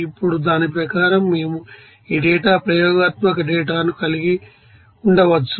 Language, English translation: Telugu, Now, according to that, we can have this data experimental data like this